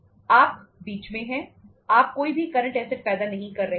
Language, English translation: Hindi, You are in between you are not generating any any current assets